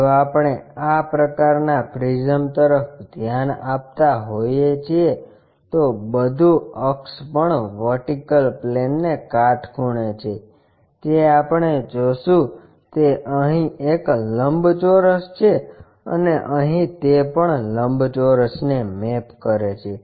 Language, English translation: Gujarati, If we are looking at this kind of prism then everything the axis is perpendicular to vertical plane then what we will see is a rectangle here and here it also maps to rectangle